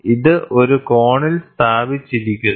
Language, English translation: Malayalam, So, it is placed at an angle